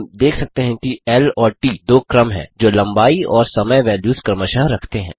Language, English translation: Hindi, We can see that l and t are two sequences containing length and time values correspondingly